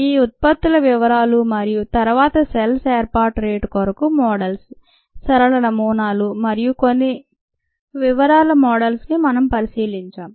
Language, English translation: Telugu, we looked at ah, the details of these products, and then the models for the rate of cell formation, simple models, as well as some ah detail models